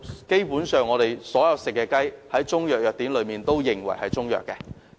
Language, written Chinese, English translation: Cantonese, 基本上，所有食用的雞在中藥藥典中皆會定性為中藥。, Basically all chickens fit for human consumption are classified as Chinese medicine in Chinese pharmacopoeias